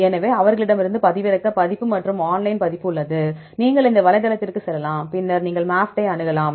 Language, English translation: Tamil, So, they have a download version as well as online version, you can go to this website and then you can access MAFFT